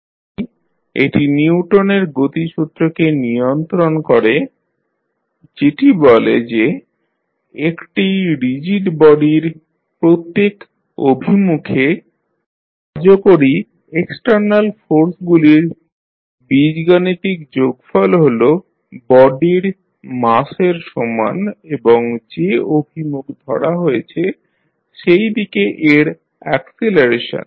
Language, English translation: Bengali, So, it governs the Newton’s law of motion which states that the algebraic sum of external forces acting on a rigid body in a given direction is equal to the product of the mass of the body and its acceleration in the same direction